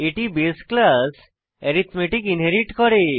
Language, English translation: Bengali, This inherits the base class arithmetic